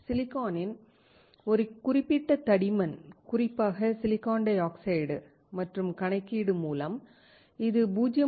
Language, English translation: Tamil, This is just the understanding how we can a certain thickness of silicon, particularly of silicon dioxide and by calculation, it is 0